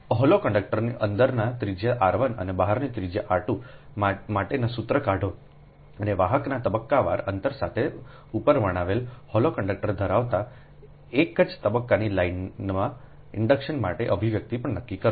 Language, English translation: Gujarati, derive the formula for the internal inductance of a hollow conductor having inside radius r one and outside radius r two, and also determine the expression for the inductance of a single phase line consisting of the hollow conductors described above, with conductors phased distance d apart